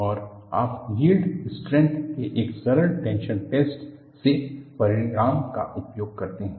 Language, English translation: Hindi, And, you utilize the result from a simple tension test of the yield strength